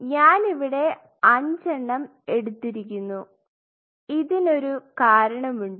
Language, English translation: Malayalam, So, I put 5 there is a reason why I put 5